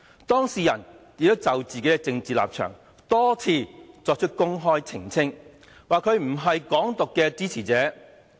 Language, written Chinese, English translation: Cantonese, 當事人亦已就自己的政治立場多次公開作出澄清，表明自己不是"港獨"的支持者。, The person in question has already openly made numerous clarifications of his political stance making it clear that he is not a supporter of Hong Kong independence